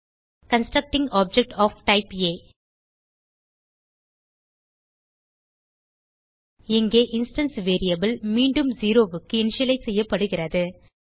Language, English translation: Tamil, Constructing object of type A And here the instance variable is again initialized to 0